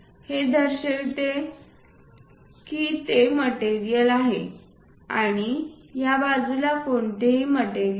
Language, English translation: Marathi, This indicates that material is there and there is no material on this side